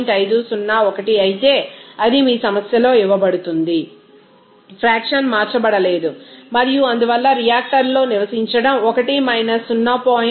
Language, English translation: Telugu, 501 it is given in your problem, the fraction unconverted and hence, living the reactor must be 1 0